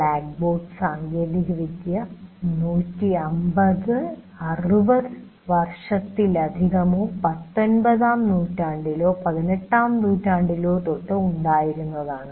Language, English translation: Malayalam, The blackboard technology you can say goes more than 150, 160 years or many more years, right into the 19th century, 18th century